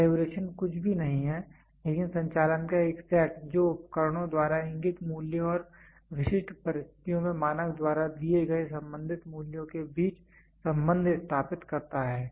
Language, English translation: Hindi, Calibration is nothing, but a set of operation that establishes the relationship between values indicated by instruments and the corresponding values given by the standard under specific conditions